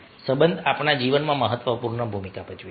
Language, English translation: Gujarati, relationship play an important ah role in our life